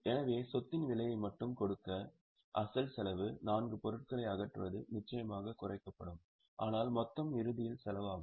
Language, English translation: Tamil, So, just to give the cost of the asset, the original cost, there are four items, disposal will of course be reduced, but the total will be the cost at the end